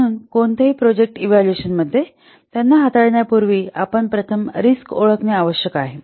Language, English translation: Marathi, So here in any project evaluation, we should identify the risk first